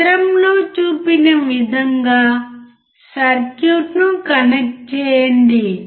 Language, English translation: Telugu, Connect the circuit as shown in figure